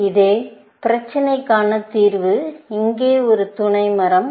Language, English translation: Tamil, So, the solution for this same problem is a sub tree here